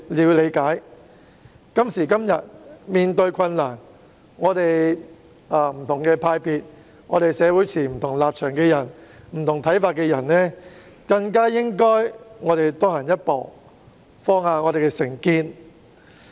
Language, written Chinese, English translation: Cantonese, 面對今時今日的困局，不同派別及社會上持不同立場和看法的人，更應多走一步，放下成見。, Facing the current predicament different camps as well as people holding different stances and views in society should take a further step and set aside their prejudices